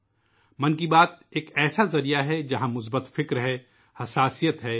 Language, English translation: Urdu, Mann Ki Baat is a medium which has positivity, sensitivity